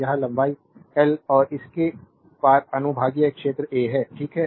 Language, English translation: Hindi, And this length l and cross sectional area of it is A, right